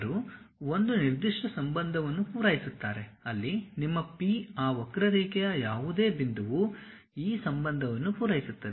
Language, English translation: Kannada, They satisfy one particular relation, where your P any point p on that curve, supposed to satisfy this relation